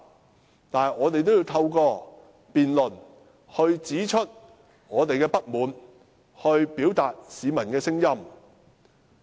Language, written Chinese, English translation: Cantonese, 儘管如此，我們也要透過辯論指出我們的不滿，表達市民的聲音。, In spite of this we still have to vent our spleen and make the peoples voices heard through this debate